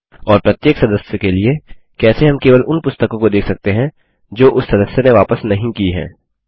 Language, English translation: Hindi, And for each member, how can we see only those books that have not yet been returned by that member